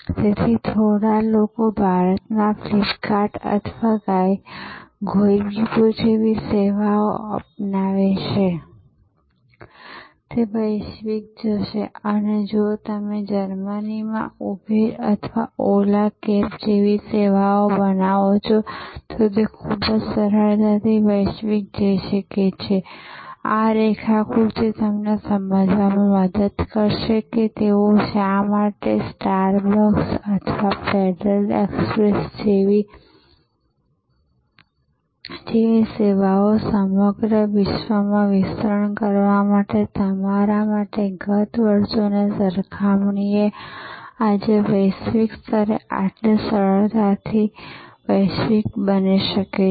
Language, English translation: Gujarati, So, few create a service like FlipKart in India or Goibibo in India, they will go global, if you create a service like Uber in Germany or Ola cabs, they can very easily go global, this diagram will help you to understand that why they can global go global so easily today as opposed to yester years, when services like star bucks or federal express to yours to expand across the globe